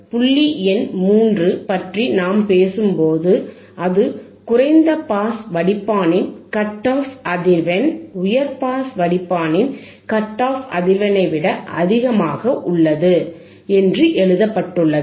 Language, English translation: Tamil, So, the cut off frequency point number 3 let us see, the cut off frequency or corner frequency of the low pass filter is higher than the cut off frequency then the cut off frequency of the high pass filter, alright